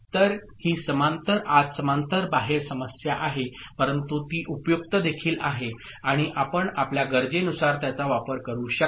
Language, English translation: Marathi, So, this is the issue with parallel in parallel out ok, but it is also useful and you can make use of it depending on your requirement